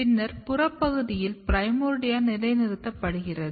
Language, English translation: Tamil, And then in the peripheral region the primordia is getting positioned